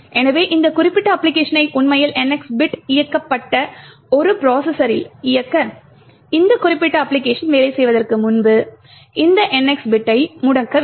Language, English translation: Tamil, So, in order to actually run this particular application on a processor with NX bit enabled, it would require you to disable this NX bit before it this particular application can work